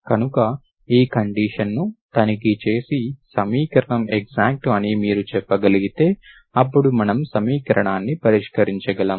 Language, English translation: Telugu, So it can only check this condition and you can say that the equation is exact, then we can solve the equation